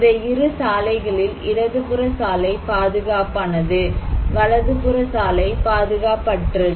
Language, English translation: Tamil, This road; left hand side road is safe; right hand side road is unsafe